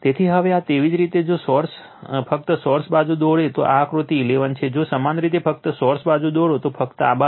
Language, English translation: Gujarati, So, now this one you just if you draw only the source side, this is figure 11 if you draw only the source side, this side only right